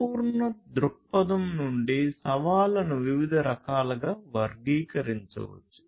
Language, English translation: Telugu, So, from a holistic viewpoint, the challenges can be classified into different types